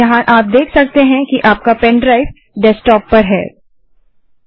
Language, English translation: Hindi, Here you can see that your pen drive is present on the desktop